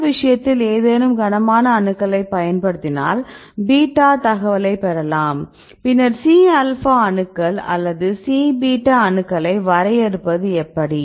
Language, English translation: Tamil, So, in this case if uses the any heavy atoms right you can get the beta information, then using either C alpha atoms or C beta atoms right then how to define